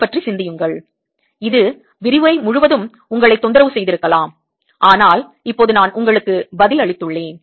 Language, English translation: Tamil, it may have bothered you throughout the lecture, but now i have given you the answer